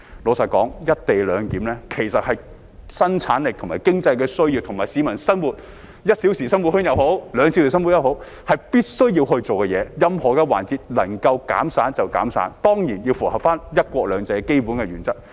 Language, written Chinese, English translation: Cantonese, 坦白說，"一地兩檢"其實是生產力和經濟的需要，而且無論為了市民的 "1 小時生活圈"也好，"兩小時生活圈"也好，是必須要做的事，任何環節能夠減省便應減省，當然要符合"一國兩制"的基本原則。, Frankly speaking the co - location arrangement is actually dictated by the needs of productivity and economy and is something that must be done for the purpose of establishing a one - hour living circle or likewise a two - hour living circle for the public . Economies should be made wherever possible and of course in line with the basic principle of one country two systems